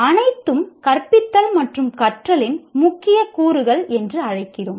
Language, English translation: Tamil, All are what you call core elements of teaching and learning